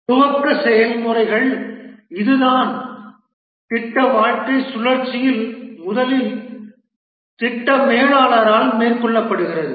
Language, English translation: Tamil, The initiating processes, this is the one that is carried out by the project manager first in the project lifecycle